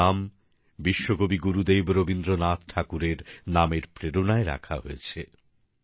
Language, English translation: Bengali, He has been so named, inspired by Vishwa Kavi Gurudev Rabindranath Tagore